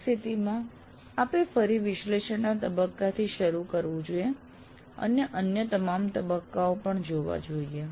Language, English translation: Gujarati, In that case you have to start all over again from analysis phase and go through all the other phases as well